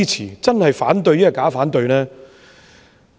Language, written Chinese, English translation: Cantonese, 如果是反對，又是否假反對？, For those who have expressed opposition is their opposition phoney?